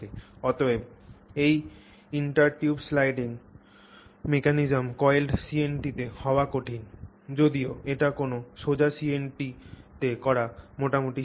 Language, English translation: Bengali, Therefore, this intertube sliding mechanism is difficult to manifest in a coiled CNT whereas it is fairly straightforward to manifest in a straight CNT